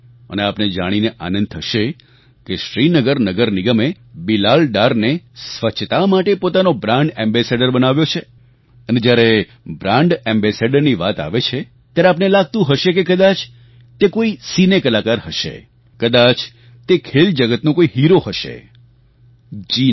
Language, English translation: Gujarati, And you will be glad to know that Srinagar Municipal Corporation has made him their brand ambassador and when there is a talk of brand ambassador, there is a general feeling that he/she must be a Cine artist or a sportspersonality